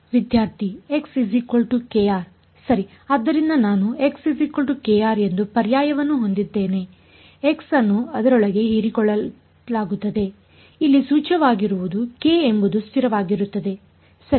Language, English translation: Kannada, So, I had the substitution that k r is equal to x right the x is absorbed into it what is implicit over here was is a k is a constant right